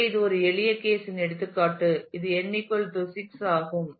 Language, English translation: Tamil, So, this is an example of a simple case which is n where n is equal to 6